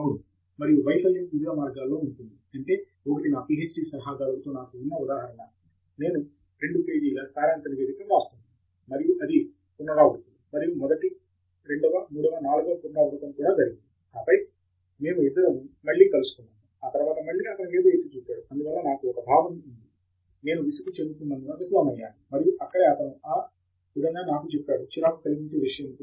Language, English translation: Telugu, Yeah, and failure can be in various ways, I mean, one example where I had with my PhD advisor was I was writing some two page summary report, and it went through iterations and the first, second, third, fourth iteration, and then we both again met and again he pointed out something, and so that is where I had a sense of failing because I was getting irritated, and that is where, he then told me that look, this is not something to get irritated about